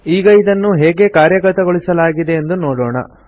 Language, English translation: Kannada, Now let us see how it is implemented